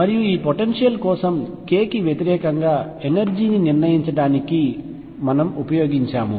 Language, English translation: Telugu, And we used to determine the energy versus k for this potential